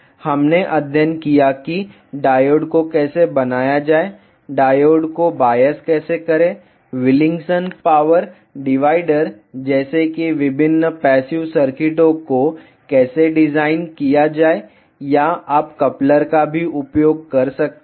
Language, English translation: Hindi, We studied how to model the diode; how to bias the diode how to design different passive circuits like Wilkinson power divider or you can use coupler as well